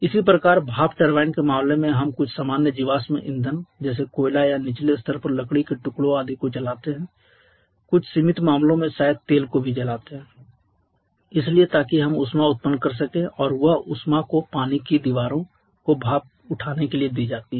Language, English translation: Hindi, Similarly in case of steam turbines we burn some common fossil fuels like coal or in lower scale odd shapes etc in certain limited cases maybe oil so that we can produce heat and that heat is added to the water when it passes to the water walls to raise the steam